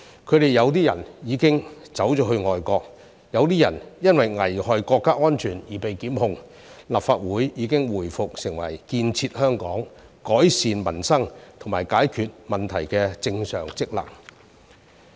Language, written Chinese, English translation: Cantonese, 他們有些人已經去了外國，有些人因為危害國家安全而被檢控，而立法會已經回復其建設香港、改善民生和解決問題的正常職能。, Some of these people have gone abroad some have been prosecuted for endangering national security and the Legislative Council has resumed its normal function of building Hong Kong improving peoples livelihood and resolving problems